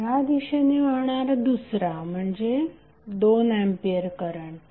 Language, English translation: Marathi, Next is 2A current which is flowing in this direction